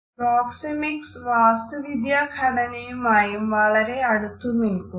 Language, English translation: Malayalam, Proxemics also very closely related with the way architectural designs are put across